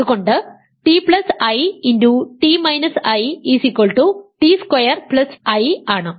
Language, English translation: Malayalam, So, here t plus i times t minus i is t squared plus 1